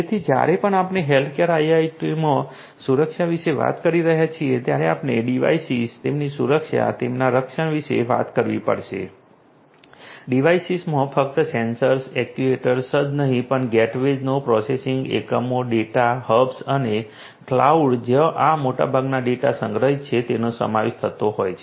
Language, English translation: Gujarati, So, whenever we are talking about security in healthcare IoT we have to talk about the device devices their security their protection devices would include not only the sensors actuators and so on but also in the gateways the processing units, the data hubs and also the cloud to where most of this data are stored